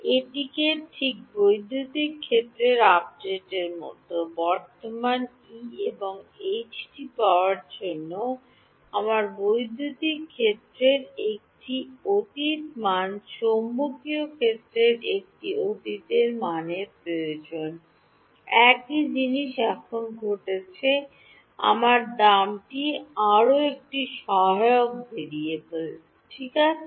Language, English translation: Bengali, It is just like the electric field update, I need one past value of electric field one past value of magnetic field to get the current E and H, same thing is happening now my price is store one more auxiliary variable right